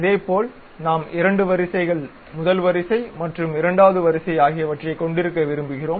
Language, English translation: Tamil, Similar way we would like to have two rows, first row and second row we would like to have